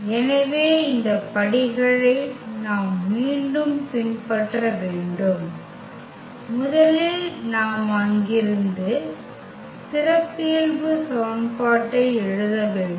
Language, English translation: Tamil, So, we have to again follow these steps that first we have to write down the characteristic equation from there we can get the eigenvalues